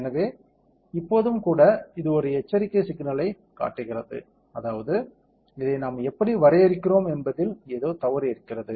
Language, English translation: Tamil, So, still even now this is showing an alarm signal; that means, there is something wrong in how we have define this